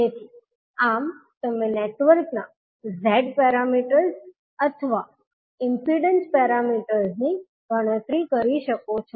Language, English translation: Gujarati, So, this you can calculate the Z parameters or impedance parameters of the network